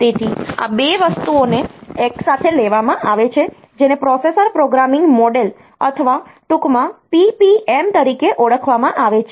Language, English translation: Gujarati, So, these 2 things taken together is known as the processor programming model, or PPM in short; so processor programming model